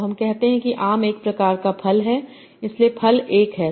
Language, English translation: Hindi, So I will say mango is a type of fruit